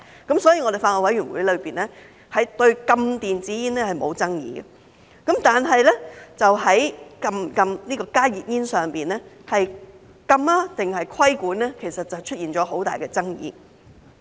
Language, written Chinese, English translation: Cantonese, 因此，法案委員會對禁止電子煙是沒有爭議的，但在禁止加熱煙上，就禁止還是規管便出現了很大爭議。, Therefore the Bills Committee considers the ban of e - cigarettes indisputable . Yet when it comes to the ban on HTPs there have been many disputes about whether HTPs should be banned or regulated